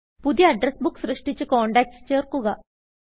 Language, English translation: Malayalam, Create a new Address Book and add contacts to it